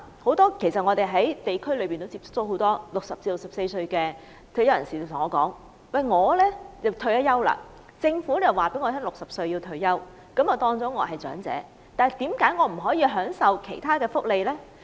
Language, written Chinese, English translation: Cantonese, 很多我在地區接觸到的60歲至64歲退休人士問我："我已經退休，政府說我60歲要退休，我被視為長者，但為何我不合資格享受長者福利呢？, Many retired people aged 60 to 64 who I have met in the districts asked me I have retired . The Government said I have to retire at the age of 60 . I am considered an elderly person yet why am I not eligible for elderly benefits?